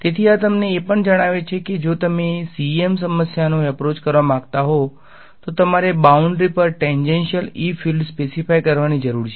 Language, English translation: Gujarati, So, this also tells you that if you want to approach a CEM problem, you need to specify the tangential E fields on the boundary